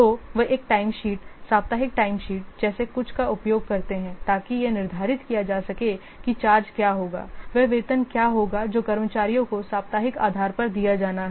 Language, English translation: Hindi, So, they use something a time sheet, weekly time shift in order to determine what will the charge, what will the salary that the staffs they have to be paid on weekly basis